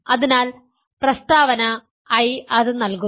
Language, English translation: Malayalam, So, that gives the statement I